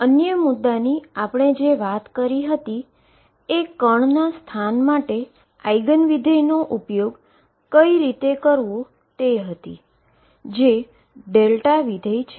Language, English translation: Gujarati, The other argument I gave you was using the Eigen function for position, which is a delta function